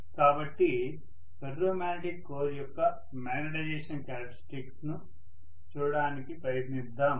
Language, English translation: Telugu, So let us try to look at the magnetization characteristics of a ferromagnetic core, right